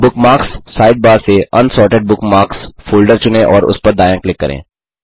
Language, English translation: Hindi, From the Bookmarks sidebar, select the Unsorted Bookmarks folder and right click on it